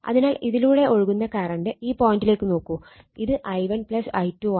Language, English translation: Malayalam, So, current flowing through this actually look at the pointer it is, i 1 plus i 2